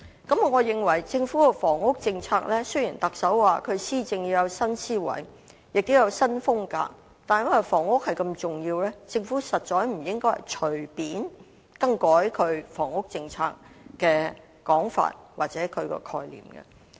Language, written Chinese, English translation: Cantonese, 對於政府的房屋政策，雖然特首說施政要有新思維和新風格，但由於房屋如此重要，我認為政府實在不應隨便更改對房屋政策的說法或概念。, This is very important . With regard to the housing policy of the Government despite the Chief Executives vows to adopt a new mindset and a new style in policy administration given the great importance of housing I think the Government indeed should not casually make changes to its statement or concept on the housing policy